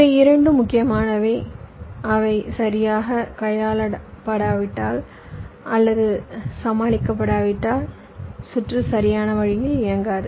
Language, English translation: Tamil, ok, this are the two problems which are important and if not handled or tackled properly, the circuit might not work in a proper way